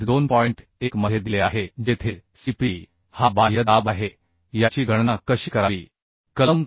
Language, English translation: Marathi, 1 where Cpe is the external pressure how to calculate this is given in clause 6